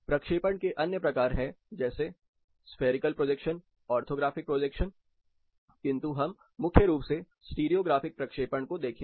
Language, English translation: Hindi, There are other things like spherical orthographic but mainly we are looking at a stereo graphic projection